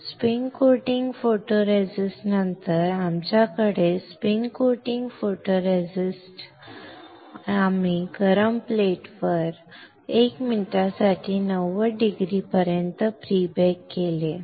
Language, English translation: Marathi, After the spin coating photoresist, then we have after spin coating photoresist we have pre baked it for 90 degree for 1 minute on hot plate